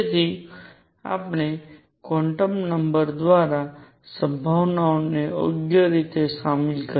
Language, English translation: Gujarati, So, we included the possibility through quantum numbers right